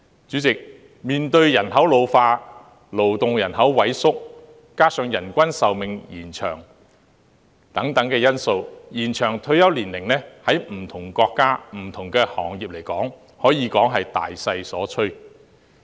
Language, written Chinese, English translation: Cantonese, 主席，面對人口老化及勞動人口萎縮，加上人均壽命延長等因素，延長退休年齡在不同國家及行業可以說是大勢所趨。, President in the face of an ageing population and a shrinking labour force coupled with an extended life expectancy and so on it can be said that an extension of retirement age is the trend of different countries and industries